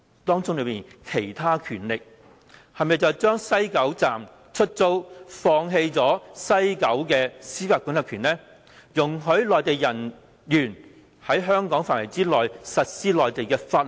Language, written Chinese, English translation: Cantonese, 當中說的"其他權力"是否便是將西九站出租，放棄了西九的司法管轄權，容許內地人員在香港範圍之內實施內地法律？, But does other powers in this Article include the powers to lease a site in the West Kowloon Station to the Mainland to give up our jurisdiction in this site and to allow Mainland officials to enforce Mainland laws within Hong Kong territory?